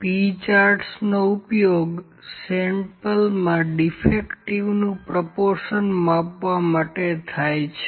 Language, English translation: Gujarati, P charts are used to measure the proportion that is defective in a sample